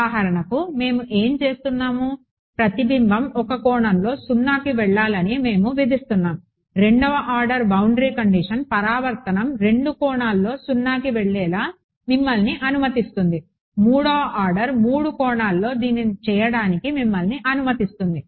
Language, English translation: Telugu, So, for example, what are we doing we are imposing that the reflection go to 0 at 1 angle a second order boundary condition will allow you to make the reflection go to 0 at 2 angles, 3rd order will allow you to do it at 3 angles and so on